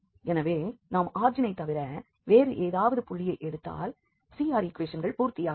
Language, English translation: Tamil, So, if we take any other point then the origin then 0 0 then the CR equations are not satisfied, then what we can conclude here